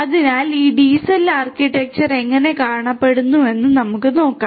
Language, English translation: Malayalam, So, let us now look at this DCell architecture how it looks like